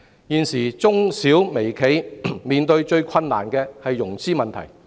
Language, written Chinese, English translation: Cantonese, 現時中小微企面對的最大困難是融資問題。, The greatest difficulty currently confronting micro small and medium enterprises is one of financing